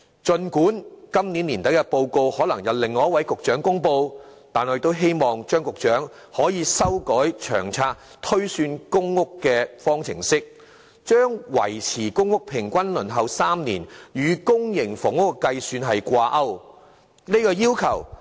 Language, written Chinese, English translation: Cantonese, 儘管今年年底的報告可能由另一位局長公布，但我亦希望張局長可以修改《長遠房屋策略》推算公屋供應數量的方程式，將"維持公屋平均輪候3年"的原則與公營房屋的計算掛鈎。, This years annual report may be announced by another Bureau Secretary at the year - end I still hope that Secretary CHEUNG can adjust the formula for the projection of public housing supply under LTHS and peg the target of maintaining the average waiting time for general PRH applicants at around three years with the calculation on public housing supply